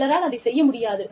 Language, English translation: Tamil, Some people, may not be able to do it